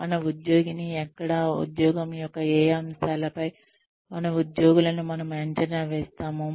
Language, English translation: Telugu, where our employee, how do we come to know that, which aspects of the job, do we assess our employees on